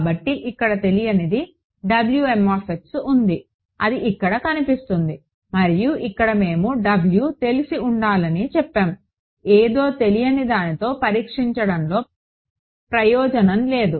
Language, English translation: Telugu, So, the unknown is here now W m is appearing over here and here we said W should be known, there is no point in testing with the unknown something